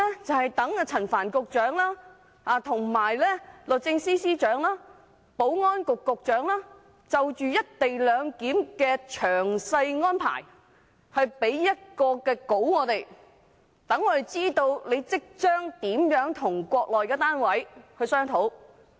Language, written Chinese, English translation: Cantonese, 就是待陳帆局長、律政司司長和保安局局長就"一地兩檢"的詳細安排給我們一份文件，讓我們知道他們將如何與國內的單位商討。, It is until Secretary Frank CHAN the Secretary for Justice and the Secretary for Security provide us with a document detailing the co - location arrangement so that we are informed of how they will discuss with the Mainland authorities . Currently we do not have such details